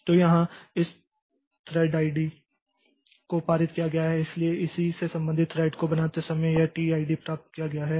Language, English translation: Hindi, So, here this thread ID is passed so from so this T ID has been obtained when it the corresponding thread was created